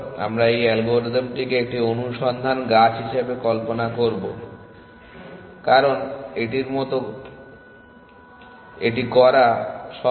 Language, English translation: Bengali, So, we will visualise this algorithm as a search tree because it is easier to do it like that